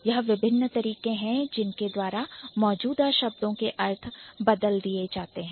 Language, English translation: Hindi, So, these are the different ways by which the meaning of an existing word might change